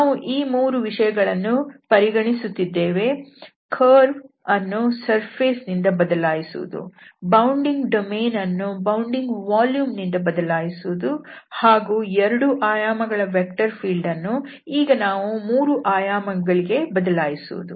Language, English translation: Kannada, So, having just these three consideration that this curve will be replaced by the surface, the bounding domain will be replaced by the volume and the vector field which was in 2 dimensions will be replaced for 3 dimensions, in 3 dimensions